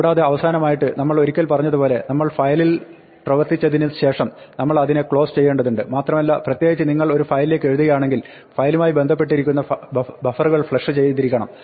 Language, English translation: Malayalam, And finally, as we said once we are done with a file, we have to close it and make sure the buffers that are associated with the file, especially if you are writing to a file that they are flushed